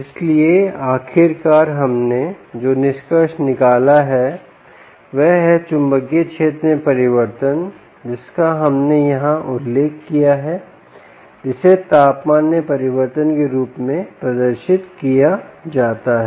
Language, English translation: Hindi, so what we finally concluded is that change in magnetic field, which we mentioned here, can be demonstrated as change in temperature, right